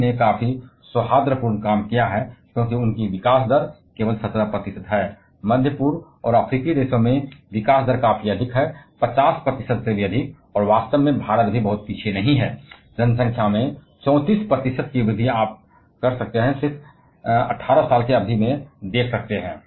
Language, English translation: Hindi, China has done quite amicable job because their growth rate is only 17 percent, in middle east and African countries the growth rate is quite high, over 50 percent and in fact, India is also not far behind, 34 percent increase in the population you can see in period of just 18 years